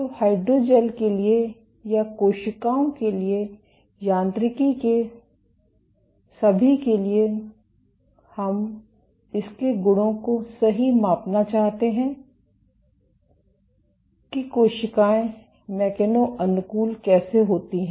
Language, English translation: Hindi, So, for hydrogels or for cells, for all of mechanobiology we want to measure its properties right, how do the cells mechano adapt